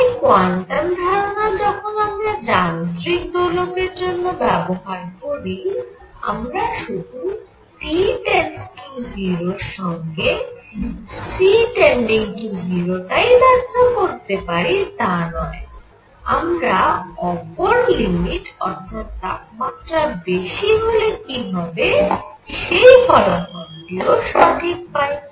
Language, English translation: Bengali, So, not only when I apply quantum ideas to mechanical oscillators, I explain that C goes to 0 as T goes to 0, it also goes to the correct limit in high temperature